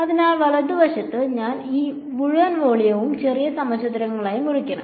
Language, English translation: Malayalam, So, on the right hand side, I have to chop up this entire volume into small cubes right